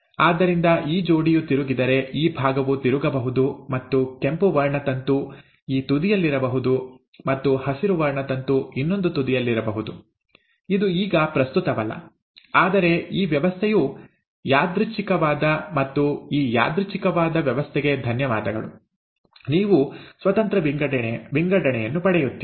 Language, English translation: Kannada, so if this pair flips over, so this side can flip over and the red chromosome can be at this end and the green chromosome can be at the other end, it does not matter, but this arrangement is a random arrangement, and thanks to this random arrangement, you end up getting independent assortment